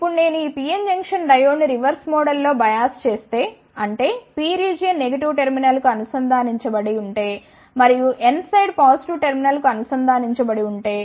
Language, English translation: Telugu, Now, if I bias this PN Junction diode in reverse mole, that is if the P region is connected to the negative terminal and the N side is connected to the positive terminal